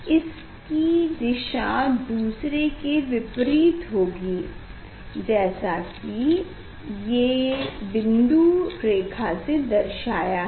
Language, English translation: Hindi, this direction will be in opposite direction so these dotted lines